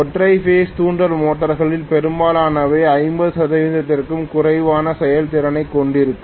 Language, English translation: Tamil, Most of the single phase induction motors will have less than 50 percent efficiency